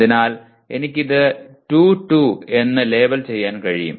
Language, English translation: Malayalam, So I can label this as 2, 2